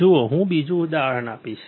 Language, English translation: Gujarati, See, I will give another example